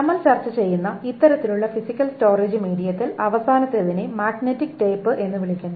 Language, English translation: Malayalam, The next important physical storage medium that we will talk about is the magnetic disk